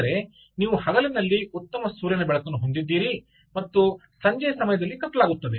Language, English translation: Kannada, you have daylight, you have good sunlight during the day and durings the evening the whole system becomes dark